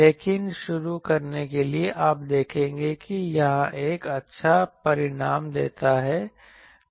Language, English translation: Hindi, But to start with you will see that this gives a good result